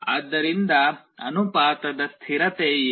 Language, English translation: Kannada, So, what is the constant of proportionality